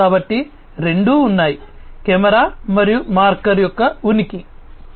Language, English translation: Telugu, So, there are two things one is the camera and the existence of marker